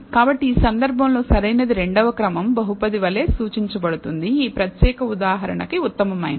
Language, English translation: Telugu, So, the optimal in this case is also indicated as a second order polynomial is best for this particular example